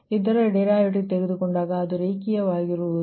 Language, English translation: Kannada, when you take the derivative right, it will be linear